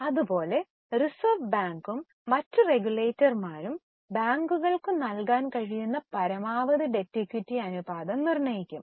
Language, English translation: Malayalam, Like that, Reserve Bank of India and the regulators fix the maximum debt equity ratio which bank can give